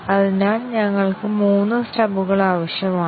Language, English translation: Malayalam, So, we need three stubs